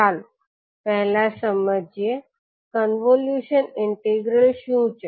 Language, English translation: Gujarati, So let us start, first understand, what is the convolution integral